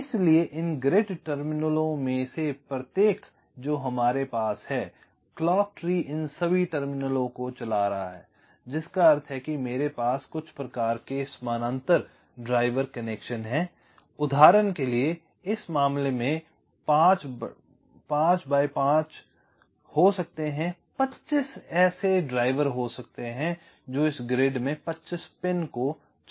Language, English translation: Hindi, so each of these grid terminals that we have, so the clock tree is driving these terminals, all of them, which means i have some kind of a parallel driver connection there can be, for example, in this case, five by five, there can be twenty five such drivers driving twenty five pins in this grids